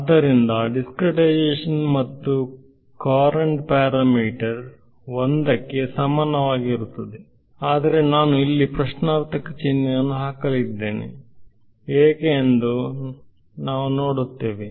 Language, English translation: Kannada, So, discretization fine and courant parameter alpha is equal to 1 right, but I am going to put a question mark over here we will come why ok